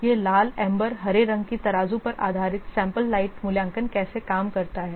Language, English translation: Hindi, This is how the sample light assessment based on the red, amber green scales this works